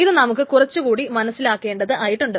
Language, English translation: Malayalam, So this needs to be understood in a little bit manner